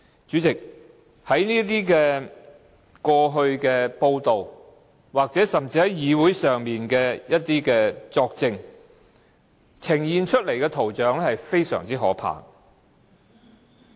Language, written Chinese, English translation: Cantonese, 主席，根據過去的報道，以及在會議上的作證，呈現出來的圖像非常可怕。, President according to previous media reports and the testimonies heard in meetings it is really a horrible picture